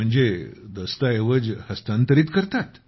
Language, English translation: Marathi, That means you transfer the documents